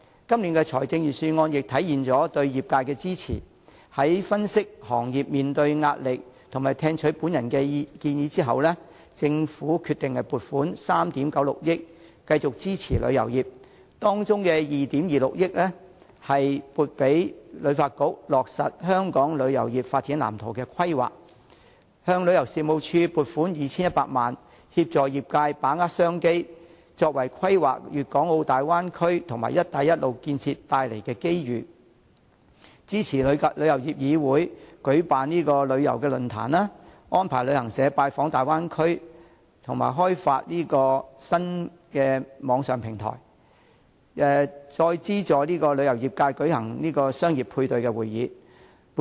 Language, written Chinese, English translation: Cantonese, 今年預算案也體現了對業界的支持，在分析行業面對的壓力和聽取我的建議後，政府決定撥款3億 9,600 萬元繼續支持旅遊業，其中包括把2億 2,600 萬元撥予香港旅遊發展局落實《香港旅遊業發展藍圖》的規劃，向旅遊事務署撥款 2,100 萬元，協助業界把握商機，規劃粵港澳大灣區及"一帶一路"建設帶來的機遇，支持香港旅遊業議會舉辦旅遊論壇、安排旅行社訪問大灣區及開發新網上平台和資助旅遊業界舉行商業配對會等。, The Budget this year has also manifested the Governments support for the industry . After analysing the pressure faced by the industry and listening to my suggestion the Government decided to allocate 396 million to continued support for the tourism industry including the provision of 226 million for the Hong Kong Tourism Board to implement the planning of the Development Blueprint for Hong Kongs Tourism Industry the earmarking of 21 million for the Tourism Commission to assist the industry in seizing business opportunities and making planning for the opportunities brought about the Guangdong - Hong Kong - Macao Bay Area and the development of the Belt and Road Initiative supporting the Travel Industry Council TIC of Hong Kong to organize a tourism forum arranging for travel agents to visit the Bay Area developing a new online platform subsidizing the tourism industry to hold a business matching conference and so on . I welcome the aforementioned arrangements